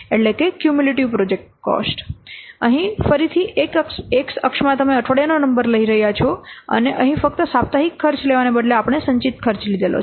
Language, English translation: Gujarati, So, here again in the X axis, we are taking the week number and here instead of taking the just weekly cost, we have taken the cumulative costs